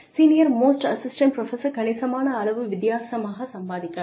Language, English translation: Tamil, The senior most assistant professor could be earning significantly different